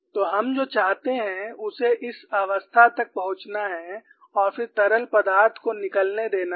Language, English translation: Hindi, So, what do we want is, it has to reach this stage and then allow the fluid to escape